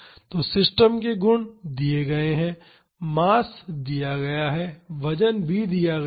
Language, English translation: Hindi, So, the system properties are given mass is given the weight is given